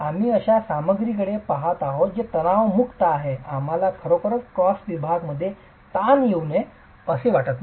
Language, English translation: Marathi, Because we are looking at a material which is weak in tension, we really don't want tension to come into this cross section